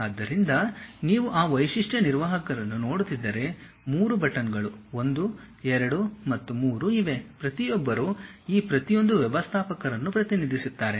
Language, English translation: Kannada, So, if you are looking at that feature manager there are 3 buttons, 1, 2, and 3, each one represents each of these managers